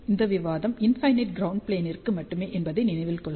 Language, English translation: Tamil, Please remember this discussion is only for infinite ground plane